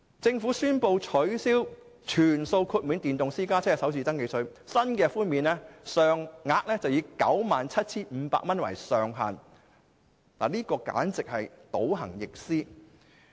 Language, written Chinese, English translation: Cantonese, 政府宣布取消全數豁免電動私家車的首次登記稅，新的寬免上限為 97,500 元，這簡直是倒行逆施。, The Government announced that the First Registration Tax for electric private cars will not be fully waived and it will be capped at 97,500 which is a perverse act